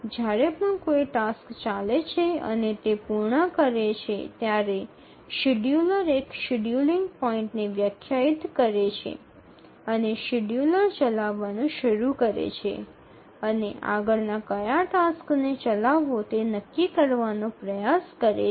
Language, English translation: Gujarati, So, whenever a task is running and it completes that wakes up the scheduler, that defines a scheduling point and the scheduler starts running and tries to decide which task to run the next